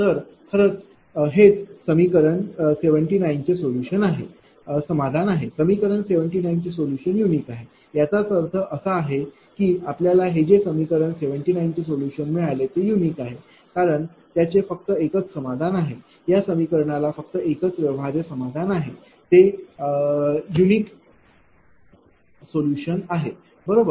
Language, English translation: Marathi, So, this is actually, your what you call that solution of equation 17th therefore, the solution of 79 is unique; that means, if this whatever solution we got that equation 79, there is unique solution because, it has only one solution this equation has the one feasible solution the solution is unique, right